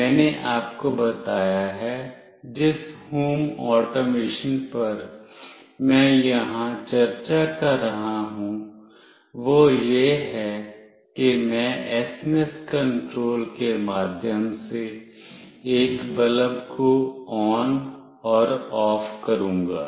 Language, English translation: Hindi, I have told you, the home automation that I will be discussing here is that I will be switching on and off a bulb through SMS control